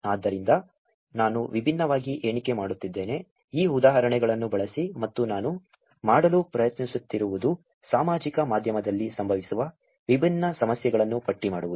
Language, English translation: Kannada, So, I am just enumerating different, using these examples and what I am trying to do is to enumerate the different problems that happen on social media